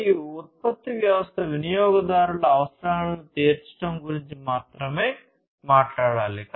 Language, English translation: Telugu, And the production system should talk about only addressing the customers’ needs